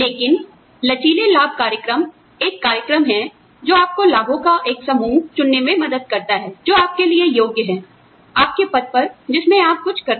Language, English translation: Hindi, But, flexible benefits program is a program, that helps you choose from, a pool of benefits, that you are eligible for, in your position, in what you do